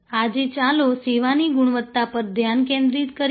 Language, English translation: Gujarati, Today let us focus on service quality